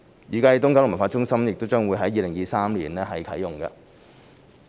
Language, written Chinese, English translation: Cantonese, 預計東九文化中心將於2023年啟用。, The East Kowloon Cultural Centre is expected to be commissioned in 2023